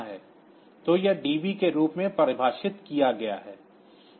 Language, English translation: Hindi, So, this is defined as DB